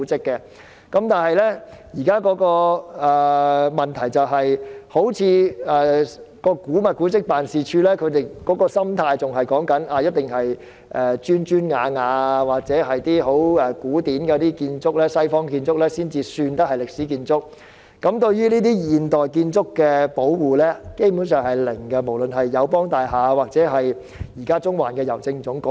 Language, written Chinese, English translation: Cantonese, 不過，現時的問題在於古物古蹟辦事處的心態，他們好像認為只有那些有磚瓦或十分古典的西方建築才算是歷史建築，對於現代建築基本上不會保護，不論是友邦大廈或是中環的郵政總局。, Yet at issue is the attitude of AMO . They seem to think that merely buildings with bricks and tiles or ancient Western architecture should be regarded as historical buildings . Hence buildings of modern architecture like the AIA Building and the General Post Office in Central will not be brought under protection in general